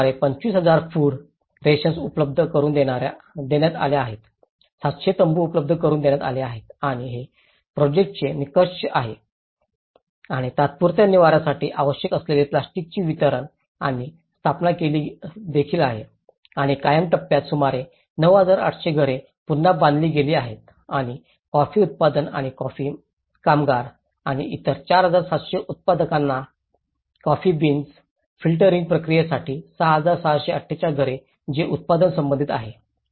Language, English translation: Marathi, They have got about 25,000 food rations have been provided, 700 tents have been provided and these are the project outcomes and there is also the delivery and installation of the plastics needed for the temporary shelter and in the permanent phase about 9,800 houses have been rebuilt and which 6,648 house for coffee growers or coffee workers and others 4,700 production related structures for like the coffee beans filtering processes